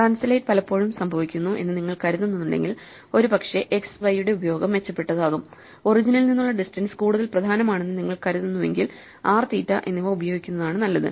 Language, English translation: Malayalam, If you think translate happens more often it's probably better to use x and y; if you think origin from the distance is more important, so probably better to use r and theta